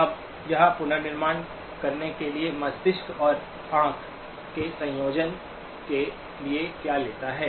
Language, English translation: Hindi, Now what does it take for the brain and eye combination to do the reconstruction